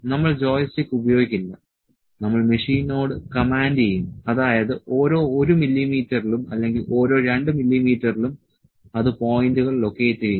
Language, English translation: Malayalam, We would not use the joystick and just using just will command the machine that at each 1 mm or it at each 2 mm, it will locate the points